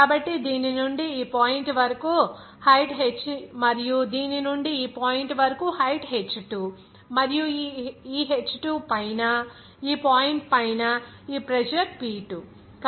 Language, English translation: Telugu, So, from this to this point, the height is h, and from this to this point that height is h2 and above this h2, above this point, this pressure is P2